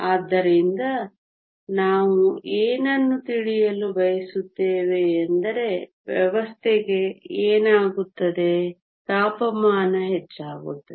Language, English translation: Kannada, So, what we want to know is what happens to the system, has temperature increases